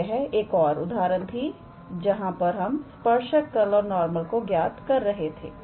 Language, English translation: Hindi, So, this was an another example where we were supposed to calculate the tangent plane and the normal